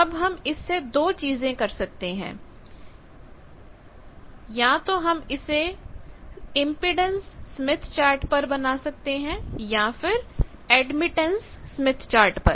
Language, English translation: Hindi, Now there are two things we can do; either we can plot it on an impedance smith chart, or we can plot it on admittance smith chart